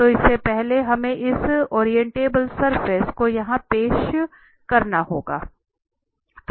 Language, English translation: Hindi, So, before that we have to introduce here this Orientable Surface